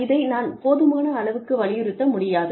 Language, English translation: Tamil, I cannot emphasize on this enough